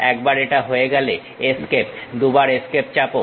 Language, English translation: Bengali, Once it is done Escape, press Escape twice